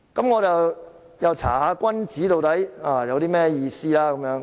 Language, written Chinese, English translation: Cantonese, 我因而又翻查"君子"的意思。, I have checked the meaning of a virtuous man again